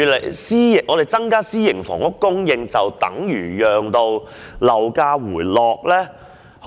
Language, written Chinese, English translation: Cantonese, 然而，增加私營房屋供應是否便可令樓價回落呢？, However will there be a drop in property prices after we have increased the supply of private housing?